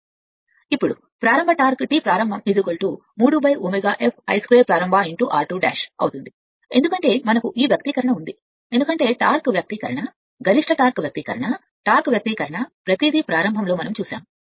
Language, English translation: Telugu, Now starting torque T start will be 3 by omega S then I starts square into your r 2 dash because we have we have this is from that expression we have all seen that start starting torque expression, maximum torque expression, torque expression everything